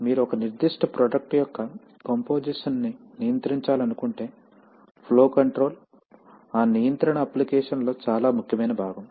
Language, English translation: Telugu, So if you want to control the composition of a particular product, flow control is often a very important part of that control application